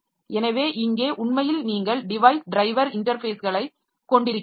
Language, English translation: Tamil, So, here we are actually we are having the device driver interfaces